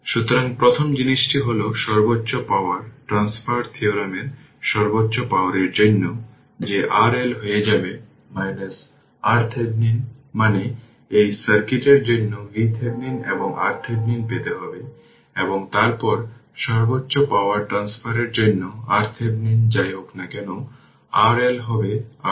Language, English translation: Bengali, So, first thing is you have to that for maximum power transfer theorem maximum power, that R L will become your R Thevenin that means, you have to obtain for this circuit V Thevenin and R Thevenin right